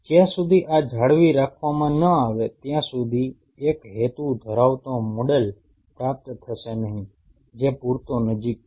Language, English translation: Gujarati, Unless this is being retained the purpose will not be achieved of having a model which is close enough